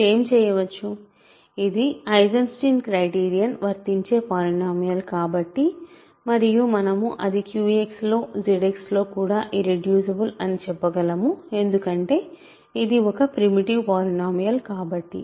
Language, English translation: Telugu, What can you so; because this is a polynomial to which Eisenstein criterion applies and that we can say its irreducible and I should actually say in Q X also in Z X because it is a primitive polynomial